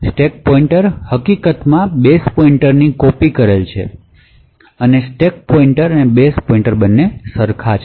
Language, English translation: Gujarati, The stack pointer is in fact copied to be base pointer and therefore the stack pointer and the base pointer are the same